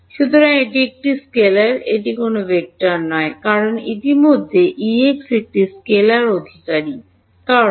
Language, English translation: Bengali, So, it is a scalar, it is not a vector because the already because E x is a scalar right